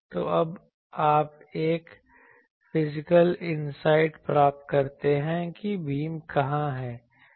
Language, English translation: Hindi, So, by that, now you get a physical insight that ok, where is the beam etc